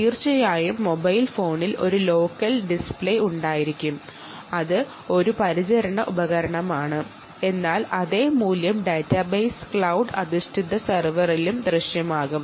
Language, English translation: Malayalam, of course, there should be a local display on the mobile phone, which is a point of care device, but the same value should also appear on the ah on the database cloud based server